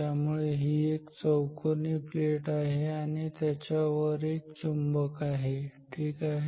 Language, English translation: Marathi, So, this is a plate rectangular plate and a magnet on top of it ok, so, on